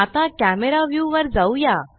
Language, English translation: Marathi, Now, lets switch to the camera view